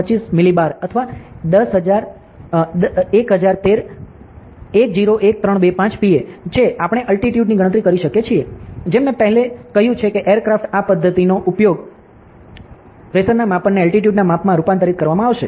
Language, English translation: Gujarati, 25 millibar or 101325 Pascal, we can calculate Altitude, As I already said aircrafts use this method to of like the measurement of pressure will be converted to the measurement of Altitude, ok